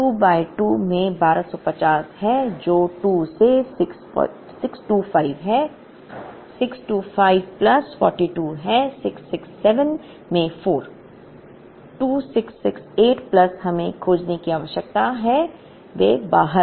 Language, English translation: Hindi, Q by2 is 1250 by 2 which is 625, 625 plus 42 is 667 into 4, 2668 plus we need to find those out